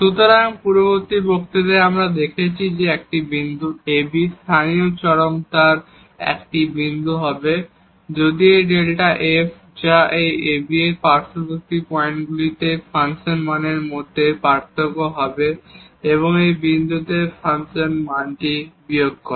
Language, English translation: Bengali, So, in the previous lecture we have seen that a point ab will be a point of local extrema, if this delta f which is the difference between the function value at the neighborhood points of this ab and minus this the function value at ab point